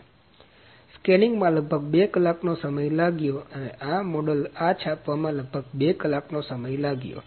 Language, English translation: Gujarati, So, the scanning took about 2 hours and the printing this printing of this model took about 2 hours